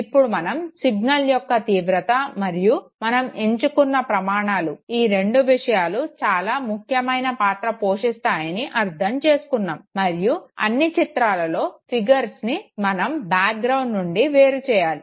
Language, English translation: Telugu, Now that we have understood that fine the intensity of the signal and the criteria that we set, both of them have a role to play and the fact that we are now saying that all images, all figures have to be extracted out of the ground